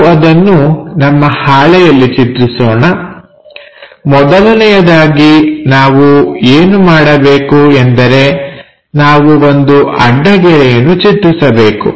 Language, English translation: Kannada, So, let us draw that on our sheet first thing what we have to do draw a horizontal line